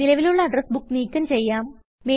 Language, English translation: Malayalam, Delete an existing Address Book